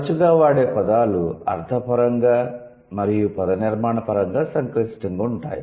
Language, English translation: Telugu, Less frequent terms are semantically and morphologically complex